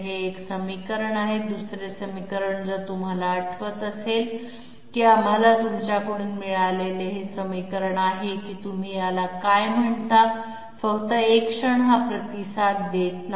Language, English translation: Marathi, This is one equation and the other equation if you kindly remember was the equation that we got from you know what you call it, just one moment this is not responding